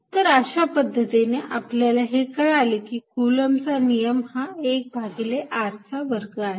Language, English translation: Marathi, So, we know very well that this coulomb's law is really 1 over r square